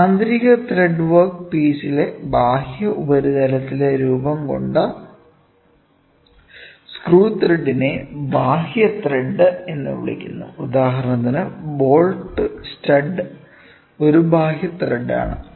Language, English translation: Malayalam, And, internal thread the screw thread formed on the external surface of a work piece is called as external thread for example, bolt stud these are external threads